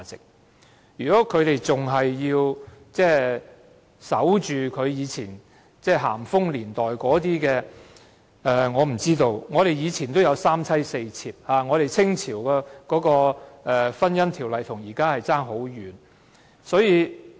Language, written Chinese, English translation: Cantonese, 所以，建制派議員不應再守着咸豐年代的一套，以往有三妻四妾，清朝的婚姻制度與現行的法例亦差天共地。, Therefore Members of the pro - establishment camp should cease observing antiquated rules . People were allowed to have multiple wives and concubines in the past and the marriage institution of the Qing Dynasty also differed greatly from the existing law